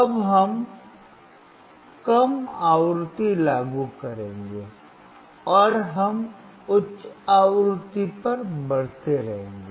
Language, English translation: Hindi, Now we will apply low frequency, and we keep on increasing to the high frequency